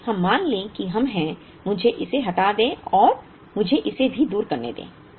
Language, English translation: Hindi, Let us assume that we are, let me remove this and let me also remove this